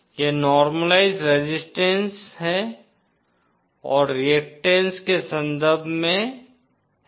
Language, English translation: Hindi, This is in terms of the normalised resistance and reactance